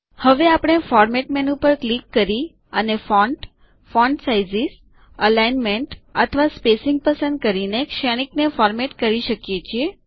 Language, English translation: Gujarati, Now, we can format matrices by clicking on the Format menu and choosing the font, font sizes, alignment or the spacing